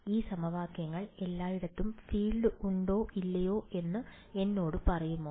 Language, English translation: Malayalam, Do this equations tell me the field everywhere